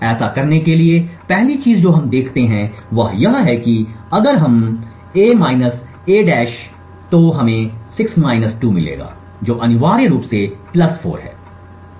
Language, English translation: Hindi, In order to do so the first thing we observe is that if we subtract a and a~ we would get 6 2 which is essentially +4